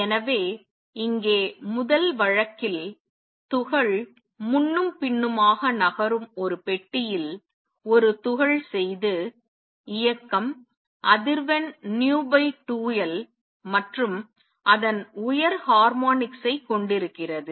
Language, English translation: Tamil, So, in the first case where the particle is doing a particle in a box moving back and forth, the motion contains frequency v over 2L and its higher harmonics